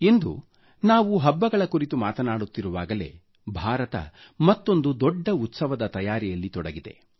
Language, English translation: Kannada, Today, as we discuss festivities, preparations are under way for a mega festival in India